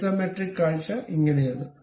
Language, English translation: Malayalam, So, this is the way isometric view really looks like